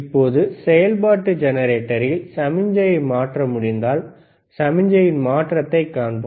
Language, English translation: Tamil, Now, if we can if we change the signal in the function generator, let us see the change in signal